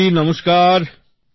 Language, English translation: Bengali, Mayur ji Namaste